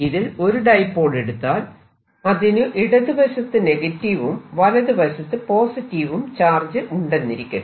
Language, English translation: Malayalam, and if i look at one dipole, it has negative charge on the left and positive charge on the right